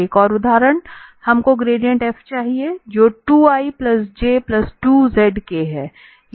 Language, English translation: Hindi, So, again, a similar example, we have to get the gradient of f that is 2 i plus j plus 2 z k